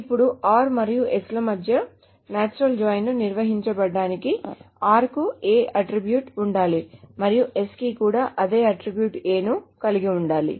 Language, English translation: Telugu, Now to define a natural joint between R and S, R must have an attribute A and S must have the same attribute A